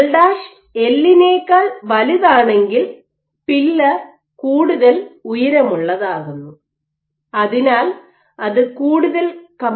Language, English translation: Malayalam, So, if L prime is greater than L simply because if you make the pillar tall and tall it becomes more compliant